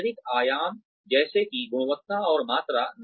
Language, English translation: Hindi, Generic dimensions such as, quality, and quantity